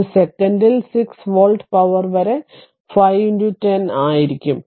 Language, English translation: Malayalam, So, it will be 5 into 10 to the power 6 volt per second